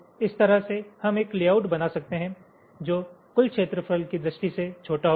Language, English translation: Hindi, so in this way we can create a layout which will be smaller in terms of the total area